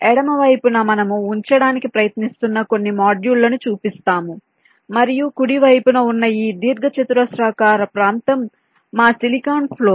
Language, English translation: Telugu, on the left we show some modules that we are trying to place and this rectangular region on the right is our silicon floor